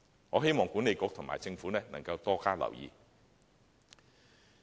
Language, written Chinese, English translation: Cantonese, 我希望西九管理局和政府能夠多加留意。, I hope WKCDA and the Government can pay greater attention to this issue